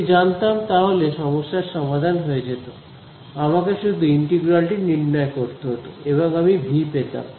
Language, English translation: Bengali, If I knew it the problem would be done then I just have to evaluate this integral and I will get V